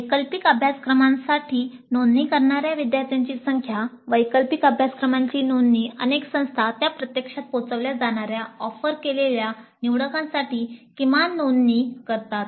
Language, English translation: Marathi, Then the number of students who register for the elective courses, the registrants for the elective courses, many institutes stipulate a minimum number of registrants for an offered elective for it to be actually delivered